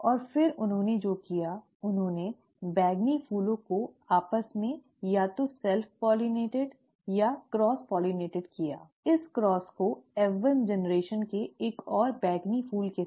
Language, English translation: Hindi, And then what he did was, he either self pollinated or cross pollinated the purple flowers amongst themselves, okay, this cross with another purple flower of the F1 generation itself